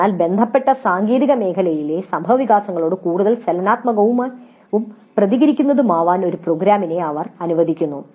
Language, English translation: Malayalam, So they allow a program to be more dynamic and responsive to the developments in the technical domain concern